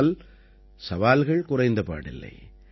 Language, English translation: Tamil, But there were no less challenges in that too